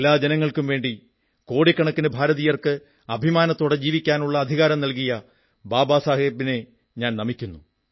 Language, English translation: Malayalam, I, on behalf of all countrymen, pay my homage to Baba Saheb who gave the right to live with dignity to crores of Indians